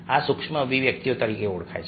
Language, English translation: Gujarati, this are known as micro expresses